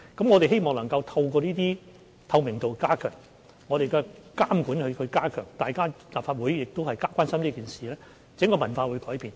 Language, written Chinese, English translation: Cantonese, 我們希望透過加強透明度、加強監管，加上立法會的關注，可以改變整個文化。, It is our hope that the overall culture can be changed through enhanced transparency strengthened regulation and the concern of the Legislative Council